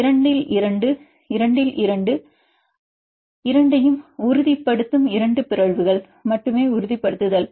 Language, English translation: Tamil, 2 out of 2 by 2, this 2 by 2, the only 2 mutations stabilizing both of them are stabilizing